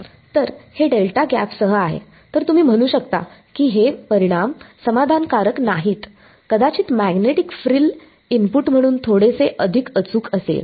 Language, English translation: Marathi, So, this is with delta gap then you can say these results are not satisfactory, may be the magnetic frill is little bit more accurate as an input